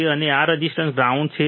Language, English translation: Gujarati, Then we have grounded this resistor